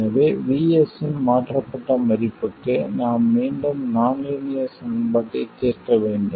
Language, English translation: Tamil, So, for a changed value of VS, we had to solve the nonlinear equation all over again